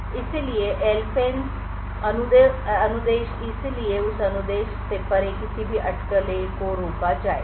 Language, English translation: Hindi, So, the LFENCE instruction would therefore prevent any speculation of beyond that instruction